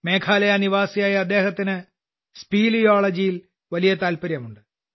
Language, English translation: Malayalam, He is a resident of Meghalaya and has a great interest in speleology